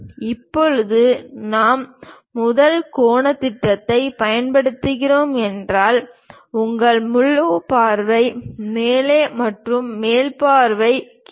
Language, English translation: Tamil, Now, if we are using first angle projection; your front view at top and top view at bottom